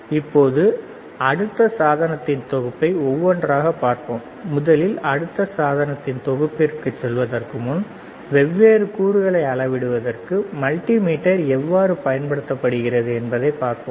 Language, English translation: Tamil, Now, let us move to the next set of device one by one, and before we move to the next set of device first, let us see how multimeter is used for measuring the different components, all right